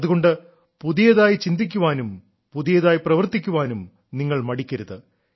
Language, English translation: Malayalam, That is why you should never hesitate in thinking new, doing new